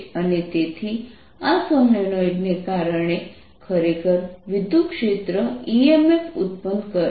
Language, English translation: Gujarati, so here is a solenoid and so because of this solenoid electric field, e m f is produce